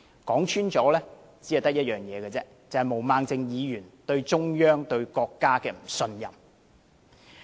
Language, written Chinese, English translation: Cantonese, 說穿了，只有一個問題，便是毛孟靜議員對中央、對國家的不信任。, To put it plainly there is only one problem Ms Claudia MOs distrust of the Central Authorities and the country